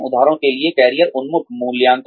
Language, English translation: Hindi, For example, career oriented appraisals